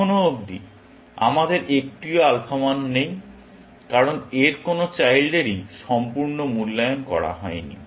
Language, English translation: Bengali, So far, we do not have an alpha value, because none of its children is completely evaluated